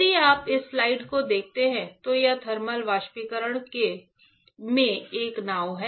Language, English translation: Hindi, If you see this slide, this is a boat in thermal evaporation